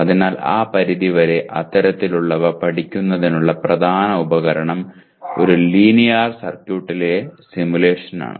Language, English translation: Malayalam, So to that extent the main tool of studying such and that to a nonlinear circuit is simulation